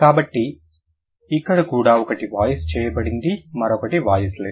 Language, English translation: Telugu, So, here also one is voiced, the other one is voiceless